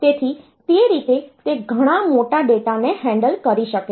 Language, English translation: Gujarati, So, that way it can handle much larger data